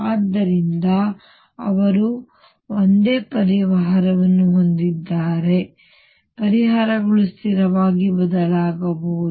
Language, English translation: Kannada, So, they have the same solution and therefore, at most the solutions could differ by a constant